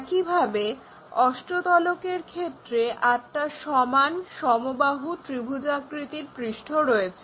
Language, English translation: Bengali, Similarly, the other ones in octahedron we have eight equal equilateral triangular faces